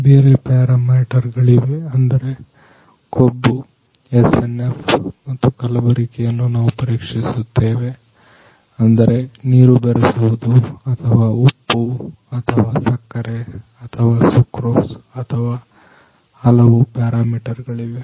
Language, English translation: Kannada, There are different parameters like fat, SNF and we are also checking the adulteration like water addition or some salt or sugar or sucrose or there are various other parameters